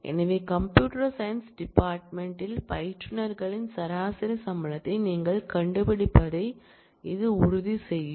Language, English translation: Tamil, So, this will ensure, that you find the average salary of instructors in computer science department